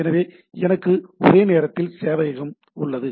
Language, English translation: Tamil, So, I have a concurrent server, right